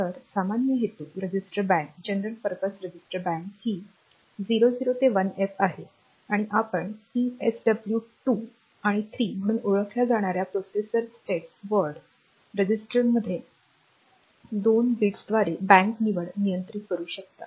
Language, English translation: Marathi, So, this is the general purpose register Bank 0 to 1F and at you can control this bank selection by two bits in the processor status word register which are known as PSW 2 and 3